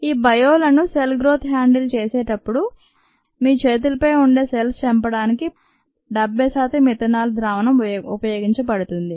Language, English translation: Telugu, seventy percent ethanol solution is used to kill cells on your hands when you ah, when you handle these ah organisms, cell cultures and so on